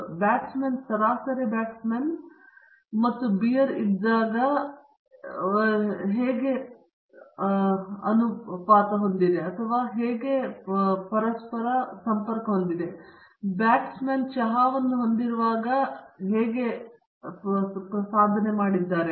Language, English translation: Kannada, So, this is the average performance of the batsman, when he is having a light bat and beer and this is the average performance of the batsman, when he is having a light bat and tea